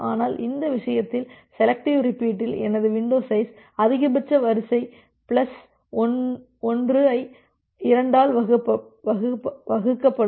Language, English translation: Tamil, But in this case, in selective repeat, my window size will be max sequence plus 1 divided by 2